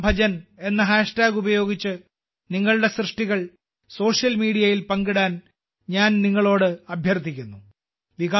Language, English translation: Malayalam, I request you to share your creations on social media with the hashtag Shri Ram Bhajan shriRamBhajan